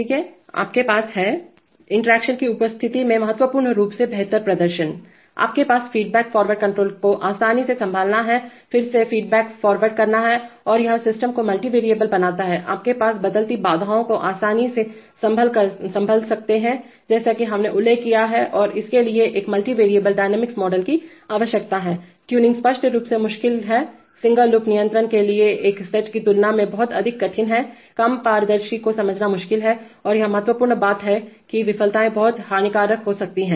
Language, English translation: Hindi, Alright, so you have Significantly improved performance in presence of interaction, you have easy handling a feed forward control, again feed forward is you know tends to make the system multivariable, you have easy handling of changing constraints, as we have mentioned and it requires a multivariable dynamic model, tuning is obviously difficult, much more difficult than a set of single loop controls, difficult to understand less transparent and this is important thing, that that failures can be very damaging